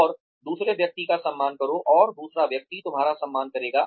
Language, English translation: Hindi, And, respect the other person, and the other person, will respect you